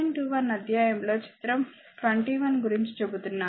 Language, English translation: Telugu, 21 figures I am telling figure 21